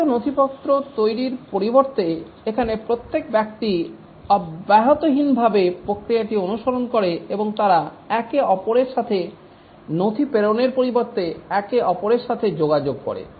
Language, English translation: Bengali, Instead of producing elaborate documents following process rigorously here the individuals and they interact with each other rather than passing on a document to each other, they explain to each other through interaction